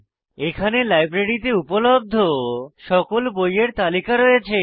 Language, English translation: Bengali, We can see the list of all the books available in the library